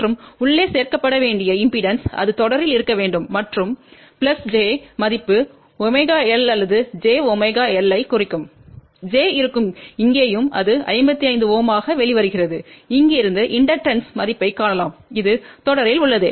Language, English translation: Tamil, And anything in impedance to be added it should be in series and plus j value will imply omega L or j omega L j will be here also and that is comes out to be 55 ohm and from here we can find the value of inductance and this is in series